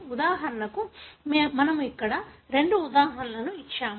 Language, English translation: Telugu, For example, we have given here two examples